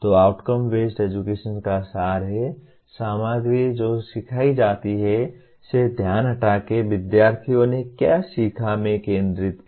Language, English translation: Hindi, So the essence of outcome based education is, the focus shifts from the material that is taught to what the students have learned